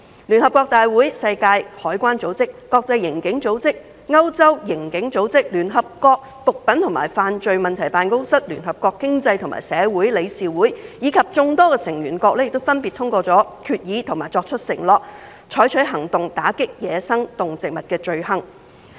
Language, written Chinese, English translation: Cantonese, 聯合國大會、世界海關組織、國際刑警組織、歐洲刑警組織、聯合國毒品和犯罪問題辦公室、聯合國經濟及社會理事會，以及眾多成員國分別通過決議及作出承諾，採取行動打擊走私野生動植物罪行。, The United Nations General Assembly the World Customs Organization the International Criminal Police Organization the European Union Agency for Law Enforcement Cooperation the United Nations Office on Drugs and Crime the United Nations Economic and Social Council as well as various member states have adopted resolutions and made commitments to take action against crimes involving wildlife trafficking